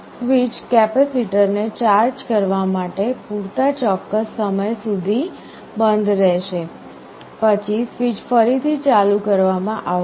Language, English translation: Gujarati, The switch will remain closed for certain time, enough for the capacitor to get charged, then the switch is again opened